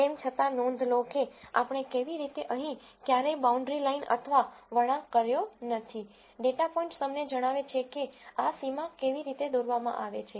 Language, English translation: Gujarati, Nonetheless notice how we have never defined a boundary line or a curve here at all, the data points themselves tell you how this boundary is drawn